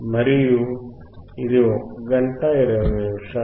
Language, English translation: Telugu, And it is about 1hour 20 minutes